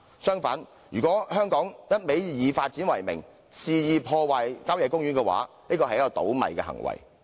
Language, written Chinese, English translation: Cantonese, 相反，如果香港以發展為名，肆意破壞郊野公園，是一個"倒米"的行為。, On the contrary Hong Kong will commit a self - defeating act if it arbitrarily destroys its country parks in the name of development